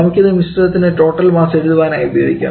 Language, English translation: Malayalam, Let us use this to write total mass for the mixture